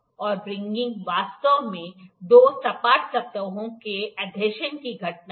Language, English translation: Hindi, And wringing actually is the phenomena of adhesion of two flat surfaces